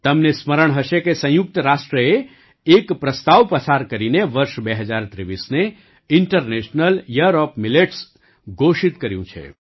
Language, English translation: Gujarati, You will remember that the United Nations has passed a resolution declaring the year 2023 as the International Year of Millets